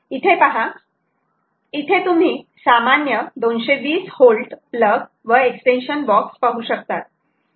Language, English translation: Marathi, what you see here is a normal two twenty volt um plug extension box